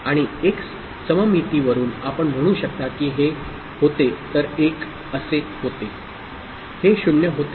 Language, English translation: Marathi, And from the symmetry you can say if this was 1 this would, this would have been 0